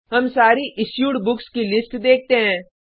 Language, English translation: Hindi, We see a list of all the Books issued